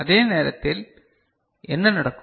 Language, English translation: Tamil, And at that time what will happen